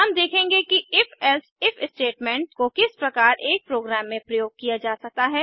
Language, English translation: Hindi, We will see how the If…Else If statementcan be used in a program